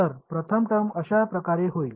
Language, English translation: Marathi, So, the first term will become like this